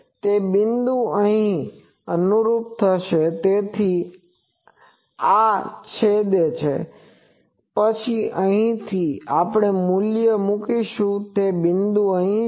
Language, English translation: Gujarati, So, this point will correspond here, so this intersect and then from here, the value we put, and that point is here that point is here